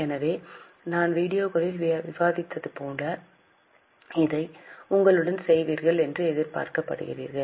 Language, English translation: Tamil, So, as we discusses in the video, you are expected to do it with you